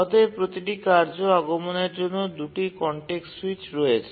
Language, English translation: Bengali, So there are two context switches for every task arrival